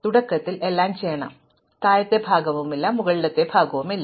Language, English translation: Malayalam, So, in the beginning everything is to do and there is no lower part and there is no upper part